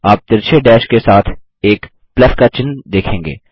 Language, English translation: Hindi, You will see a plus sign with a slanting dash